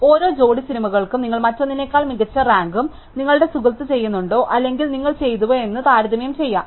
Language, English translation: Malayalam, So, for each pair of movies, you can compare whether you rank one better than the other and your friend also does or you done